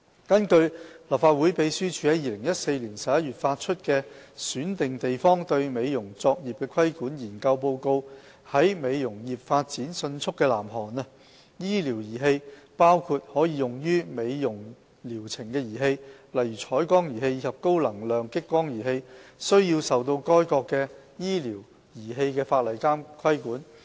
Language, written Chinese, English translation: Cantonese, 根據立法會秘書處在2014年11月發出的《選定地方對美容作業的規管》研究報告，在美容業發展迅速的南韓，醫療儀器包括可用於美容療程的儀器，例如彩光儀器及高能量激光儀器，須受該國的醫療儀器法例規管。, According to the Research Report on Regulation of aesthetic practices in selected places the Report published by the Legislative Council Secretariat in November 2014 in South Korea where beauty industry is flourishing medical devices cover devices that can be used for cosmetic treatment such as intense pulsed light devices and high - power lasers . These devices are regulated under the medical device legislation